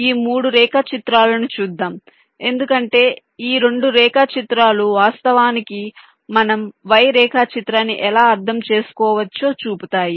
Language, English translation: Telugu, lets look at these two diagrams, because these two diagrams actually show how we can interpret the y diagram